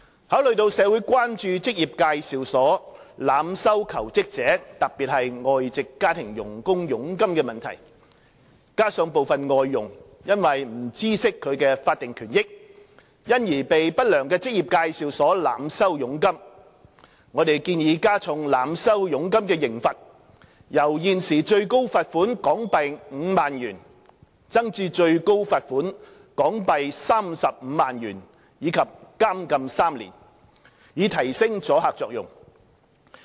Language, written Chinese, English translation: Cantonese, 考慮到社會關注職業介紹所濫收求職者，特別是外籍家庭傭工佣金的問題，加上部分外傭因不知悉其法定權益，因而被不良職業介紹所濫收佣金，我們建議加重濫收佣金的刑罰，由現時最高罰款港幣5萬元增至最高罰款港幣35萬元及監禁3年，以提升阻嚇作用。, In the light of the communitys concern over the overcharging of job - seekers especially foreign domestic helpers FDHs on commissions by EAs coupled with the fact that some FDHs may not be fully aware of their statutory rights and benefits and thus fall prey to dishonest EAs who may overcharge them on commissions we therefore propose to impose heavier penalty on EAs overcharging job - seekers from a maximum fine of HK50,000 at present to a maximum fine of HK350,000 and an imprisonment of three years so as to generate greater deterrent effect